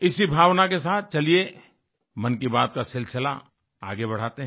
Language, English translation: Hindi, With this sentiment, come, let's take 'Mann Ki Baat' forward